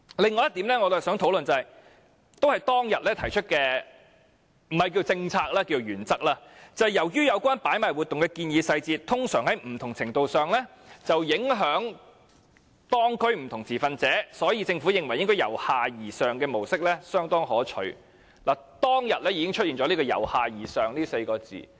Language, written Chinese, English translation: Cantonese, 通常在不同程度上影響當區不同持份者，我們認為由下而上的模式相當可取"。當時已經出現了"由下而上"這4個字。, I would also like to discuss another principle as mentioned by the Government in the above paper of the Subcommittee on Hawker Policy since the details of a hawking proposition often affect different stakeholders in the local community differently we see considerable benefits of a bottom - up approach